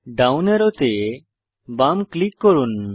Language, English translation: Bengali, Left click the down arrow